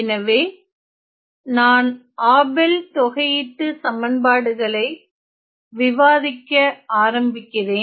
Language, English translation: Tamil, So, I am going to start my discussion with my Abel’s integral equations